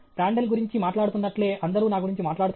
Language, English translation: Telugu, Will everybody talk about me, just like they are talking about Prandtl